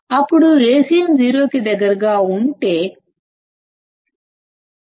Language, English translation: Telugu, Then if Acm is close to 0; let us say 0